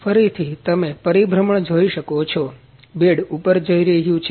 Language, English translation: Gujarati, Again you can see the rotation the bed is moving up, in a upward direction